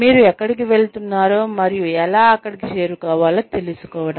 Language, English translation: Telugu, Knowing, where you are going, and how you can get there